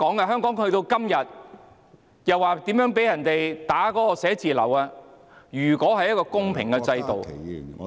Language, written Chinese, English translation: Cantonese, 香港去到今天的地步，辦事處被人破壞，如果是公平的制度......, Hong Kong reached the current situation where offices were vandalized if the system is fair